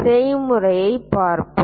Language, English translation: Tamil, Let us look at the procedure